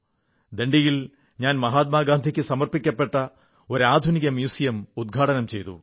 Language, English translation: Malayalam, There I'd inaugurated a state of the art museum dedicated to Mahatma Gandhi